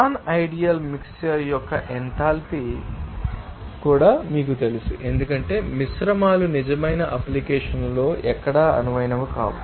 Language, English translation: Telugu, Now enthalpy of non ideal mixture also to be you know, because mixtures are not ideal anywhere in real application